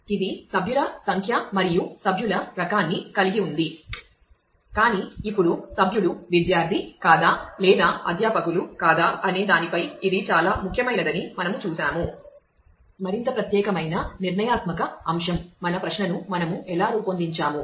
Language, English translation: Telugu, Which has a member number and the member type, but now we have just seen that it actually matters as to whether the member is a student or is a faculty is a more unique deciding factor in terms of, how we design our query